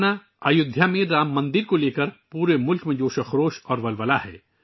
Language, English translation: Urdu, My family members, there is excitement and enthusiasm in the entire country in connection with the Ram Mandir in Ayodhya